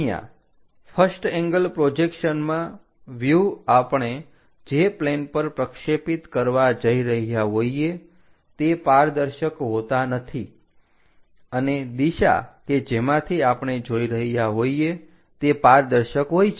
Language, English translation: Gujarati, Here, in the first angle projection size always be our the views on which we are going to project, those will be opaque and the direction through which we are going to see will be transparent